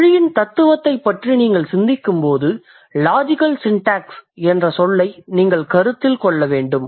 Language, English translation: Tamil, So, when you think about philosophy of language, you need to consider the term called logical syntax